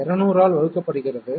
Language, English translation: Tamil, 5 divided by 200